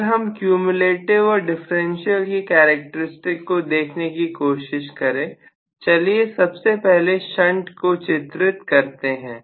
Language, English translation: Hindi, So, differential and cumulative, if I try to look at the characteristics, let me first of all draw this is the shunt, let us say, right